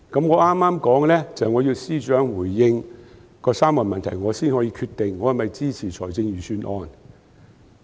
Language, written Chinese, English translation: Cantonese, 我剛才說，我要求司長回應那3個問題，我才可以決定我是否支持財政預算案。, As I said earlier I requested the Financial Secretary to respond to my three questions so that I could decide whether to support the Budget